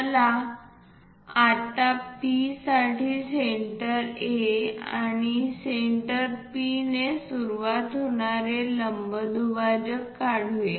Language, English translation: Marathi, Now, let us construct perpendicular bisectors for P beginning with centre A and also centre P